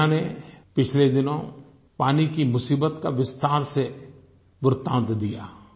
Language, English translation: Hindi, Recently the Media reported about the water crisis in great detail